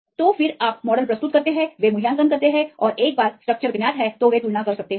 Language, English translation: Hindi, So, then you submit your model and they evaluate and once the structure is known they can compare